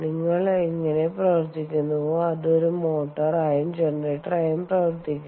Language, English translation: Malayalam, ah, um, the way you operate it, it, it can act as both as a motor and a generator